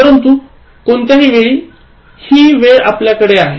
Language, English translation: Marathi, But, any time, the time is at your disposal